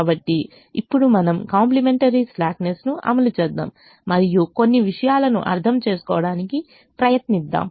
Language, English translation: Telugu, so now we will apply complimentary slackness and try to understand a few things